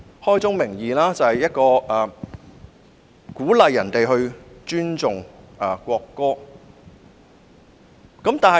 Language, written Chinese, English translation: Cantonese, 開宗明義，《條例草案》鼓勵大家尊重國歌。, At the outset the Bill promotes respect for the national anthem